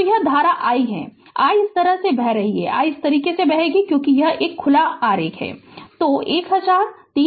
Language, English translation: Hindi, So, this current is i, this i is flowing like this; i is flowing like this right because this is open this is open right